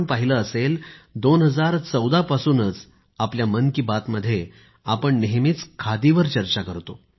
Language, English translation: Marathi, You must have noticed that year 2014 onwards, we often touch upon Khadi in Mann ki Baat